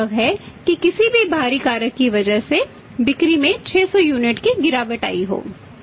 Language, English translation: Hindi, It may possible that because of any external factors sales have declined to say 600 units